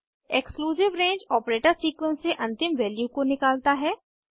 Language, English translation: Hindi, Exclusive range operator excludes the end value from the sequence